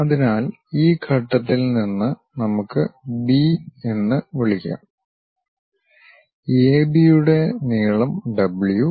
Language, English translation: Malayalam, So, if we are seeing from this point this point let us call A B, the length A B is W